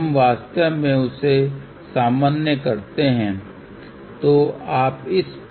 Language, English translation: Hindi, We actually do the normalization